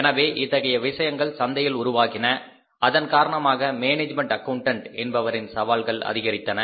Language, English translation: Tamil, So, as these things have come up in the markets, the challenges to the management accountants have also increased